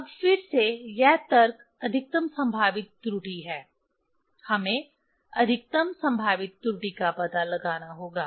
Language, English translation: Hindi, Now, again this logic is maximum probable error, we have to find out maximum probable error